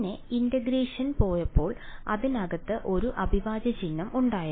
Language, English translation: Malayalam, Then when we went to integration there was an integral sign inside it